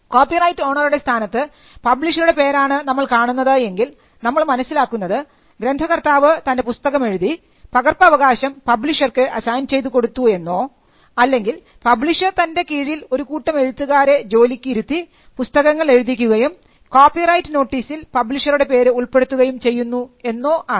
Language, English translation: Malayalam, So, when it is the publisher who is the copyright owner then we understand that as a case of the author having written the book and having assigned the copyright to the publisher or the publisher had a team of people under his employment who wrote the book and the publishers name figures in the copyright notice